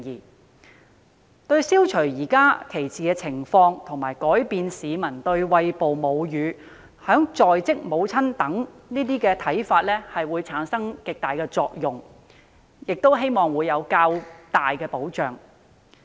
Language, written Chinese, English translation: Cantonese, 此舉對消除現時的歧視情況，以及改變市民對餵哺母乳和在職母親的看法產生極大的作用，亦會提供較大保障。, This will have significant effects on eliminating discrimination and changing the publics views on breastfeeding and working mothers and this will also provide greater protection